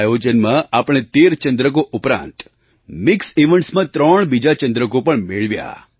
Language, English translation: Gujarati, At this event we won 13 medals besides 3 in mixed events